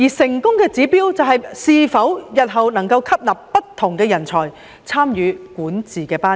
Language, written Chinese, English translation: Cantonese, 成功的指標，就是日後可否吸納不同人才參與管治班子。, The indicator of success is the ability to recruit different talents into the governing team in future